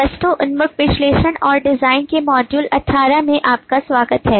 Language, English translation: Hindi, welcome to module 18 of object oriented analysis and design